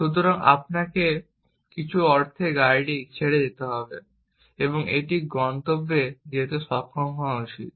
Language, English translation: Bengali, So, you have to let loose the car in some sense and it should be able to go to a destination